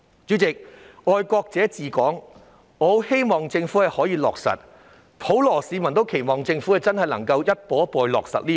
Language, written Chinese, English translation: Cantonese, 主席，我希望政府可以落實"愛國者治港"，普羅市民也期望政府能夠真的逐步落實這項原則。, President I hope that the Government can implement patriots administering Hong Kong as the general public do have the expectation that the Government will gradually implement the principle